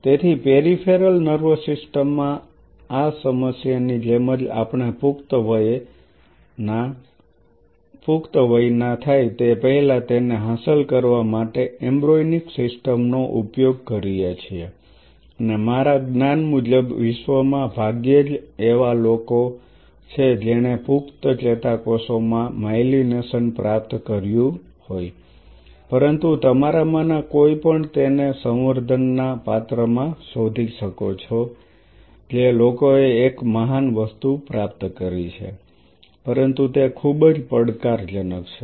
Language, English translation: Gujarati, So, just like this problem in the peripheral nervous system we use the embryonic system in order to achieve it before we graduate into adult and to the best of my knowledge as of now there are hardly any groups in the world which has achieved myelination on adult neurons not that I know of, but anyone of you find it out in a culture dish people have a achieved that be a really great thing, but it is exceptionally challenging